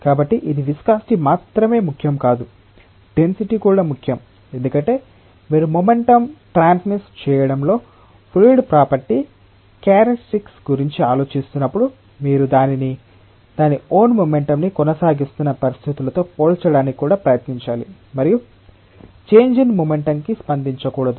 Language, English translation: Telugu, So, it is not just only the viscosity that is important, the density is also important; because when you are thinking of the characteristic of a fluid in transmitting momentum, you must also try to compare it with a situation where it is maintaining its own momentum and not responding to a change in momentum